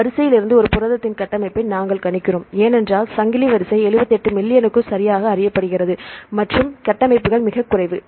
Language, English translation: Tamil, So, we predict the structure of a protein from the sequence, because chain sequence are known right for 78 million and the structures are very less